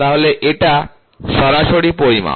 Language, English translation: Bengali, So, that is the direct measurement